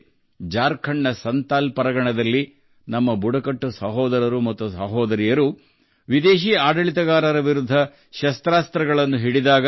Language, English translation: Kannada, Then, in Santhal Pargana of Jharkhand, our tribal brothers and sisters took up arms against the foreign rulers